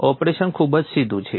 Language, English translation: Gujarati, The operation is pretty straightforward